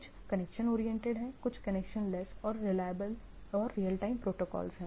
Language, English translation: Hindi, Some are connection oriented, connectionless, real time protocols